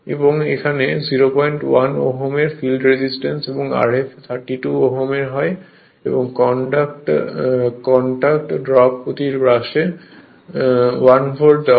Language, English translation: Bengali, 1 Ohm field resistance R f 32 Ohm and contact drop per brush is given 1 volt